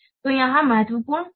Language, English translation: Hindi, So, here the important is anonymity